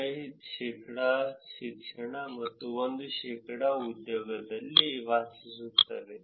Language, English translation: Kannada, 5 percentage of education and 1 percent of employment